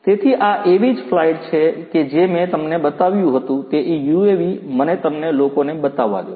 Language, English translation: Gujarati, So, this is one such flight that, I showed you let me show you that UAV you know